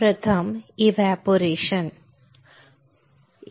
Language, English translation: Marathi, First is called Evaporation